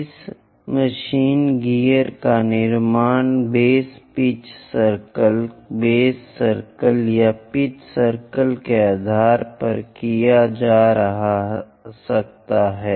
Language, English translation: Hindi, This machine gear might be constructed based on a base pitch circle base circle or pitch circle